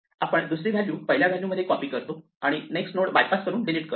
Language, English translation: Marathi, So, we copy the second value into the first value and we delete the next node by bypassing